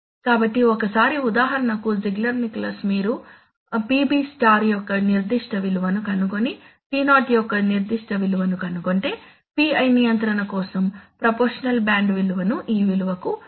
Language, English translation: Telugu, So once, so for example Ziegler Nichole says that if you have found a particular value of PB star and found a particular value of τ0 then the, then for a PI control set the proportional band value as 2